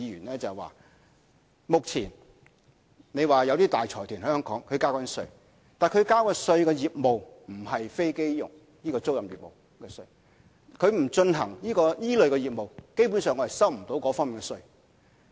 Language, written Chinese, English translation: Cantonese, 他們指目前有大財團在香港繳交稅款，但繳交稅款的業務不是飛機租賃業務，他們不進行這類型的業務，基本上我們收不到這方面的稅款。, They claim that some large consortia which are now paying tax in Hong Kong are not operating businesses related to aircraft leasing . They say that if these consortia do not operate aircraft leasing business the Government basically cannot receive tax revenue in this regard